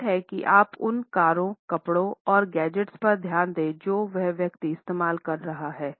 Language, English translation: Hindi, The secret is paying attention to the cars, clothes and gadgets that he owns